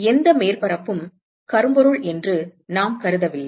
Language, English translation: Tamil, We have not assumed that any of the surfaces is blackbody